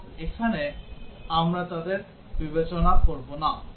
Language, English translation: Bengali, And here we will not consider them